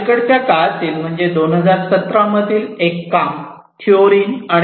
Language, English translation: Marathi, Another work a recent one is by Theorin et al